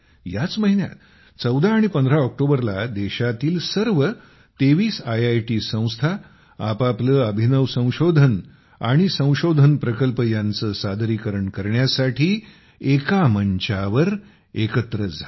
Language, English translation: Marathi, This month on 1415 October, all 23 IITs came on one platform for the first time to showcase their innovations and research projects